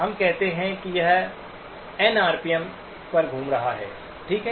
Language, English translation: Hindi, Let us say it is spinning at N rpm, okay